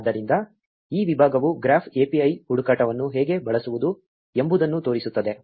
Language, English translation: Kannada, So, this section shows you how to use graph API search